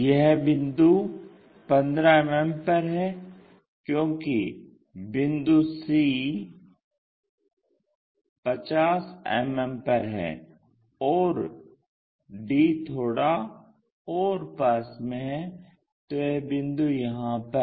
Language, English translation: Hindi, This point is at 15 mm, so this is the one, because c is at 50 mm is supposed to be there, and d is bit closer so it is at that point